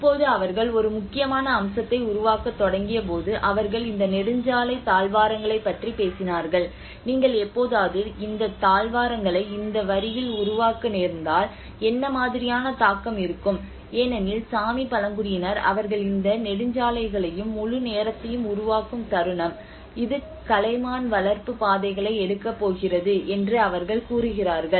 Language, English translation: Tamil, Now when they started developing you know one of the important aspects is they talked about these highway corridors if you ever happen to make these corridors onto this line then what kind of impact because the Sami tribes they says that you know the moment you are making these highways and the whole development it is going to take the reindeer herding routes you know these are the what you can see is reindeer herding routes